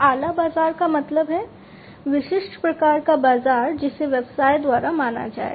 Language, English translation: Hindi, Niche market means, the specific type of market that will be considered by the business